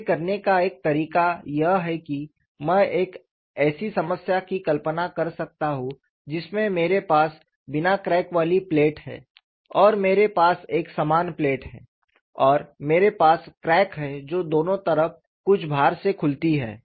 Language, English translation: Hindi, One way of doing it, I can imagine a problem wherein I have a plate without a crack plus I have the similar plate and I have the crack that is opened up by some load on either side